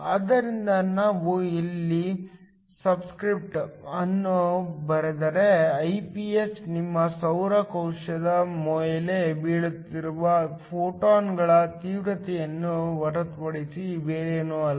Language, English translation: Kannada, So, Iph if we write the subscript here Iph is nothing but the intensity of the photons that is falling on to your solar cell